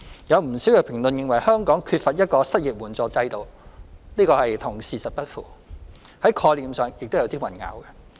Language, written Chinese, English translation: Cantonese, 有不少評論認為香港缺乏一個失業援助制度，這與事實不符，在概念上亦有所混淆。, Many people opined that Hong Kong lacks an unemployment assistance system . This is factually incorrect and conceptually confusing